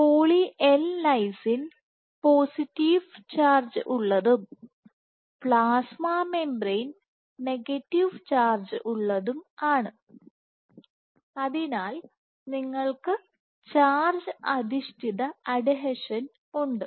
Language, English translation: Malayalam, Because poly L lysine is positively charged, the plasma membrane is negatively charged, so, you just have charge mediated adhesion